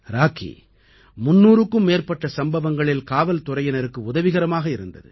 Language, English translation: Tamil, Rocky had helped the police in solving over 300 cases